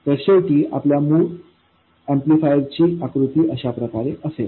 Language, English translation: Marathi, So, finally, the picture of our basic amplifier looks like this